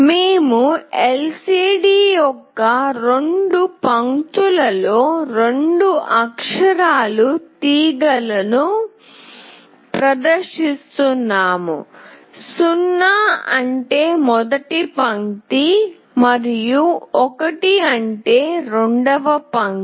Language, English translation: Telugu, We are displaying two character strings on two lines of the LCD, 0 means first line and 1 means second line